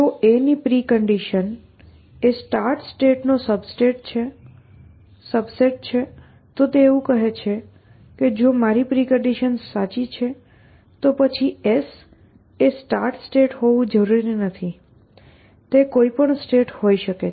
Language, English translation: Gujarati, If precondition of a is a subset of start, it is just like saying that if my preconditions are true, then well s does not have to be start it can be any state